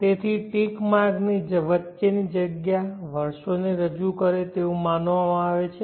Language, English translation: Gujarati, So the space between the ticks are supposed to represent the years